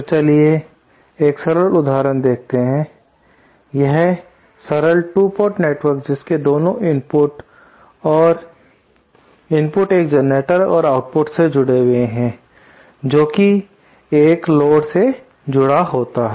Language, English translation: Hindi, So let us see a simple example, a simple 2 port network with both its input and input connected to a generator and output connected to a load